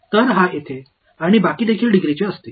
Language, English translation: Marathi, So, that is this guy over here and the remainder will also be of degree